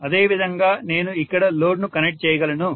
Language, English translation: Telugu, And similarly, I would be able to connect the load here